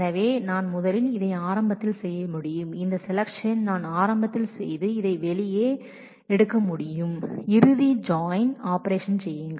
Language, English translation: Tamil, So, I can first I can take this do early, I can do this selection early and take this out and then do the final join operation